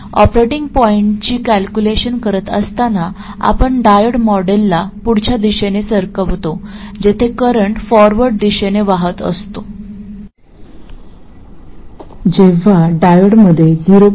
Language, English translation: Marathi, And while calculating the operating point, we take the diode model to be where in the forward direction, when current is flowing in the forward direction, the diode has a voltage of